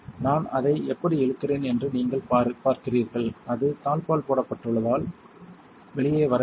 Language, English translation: Tamil, You see how I am pulling on it is not coming out it is because it is latched